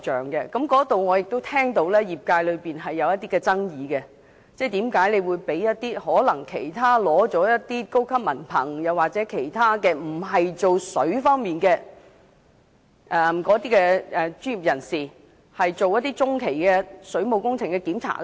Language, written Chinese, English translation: Cantonese, 對於這個安排，我聽到業界存在爭議，質疑政府為何委託一些業外取得高級文憑或並非從事水管工作的專業人士進行中期水務工程檢查。, I have heard that this arrangement has caused controversy in the industry . Members of the industry have questioned why lay professionals who are high diploma holders with no experience in plumbing works could conduct interim testing on waterworks